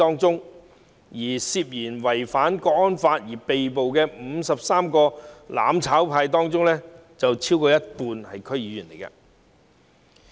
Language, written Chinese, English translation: Cantonese, 在涉嫌違反《香港國安法》被捕的53名"攬炒派"中，超過一半是區議員。, Among the 53 members of the mutual destruction camp who have been arrested for alleged violation of the National Security Law more than half are DC members